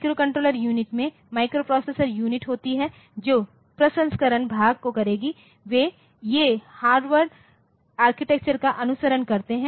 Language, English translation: Hindi, So, and the microcontroller unit it consists of the microprocessor unit which will be doing the processing part it follows the Harvard architecture